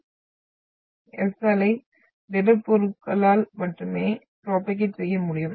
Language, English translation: Tamil, So the S wave can only propagate through solids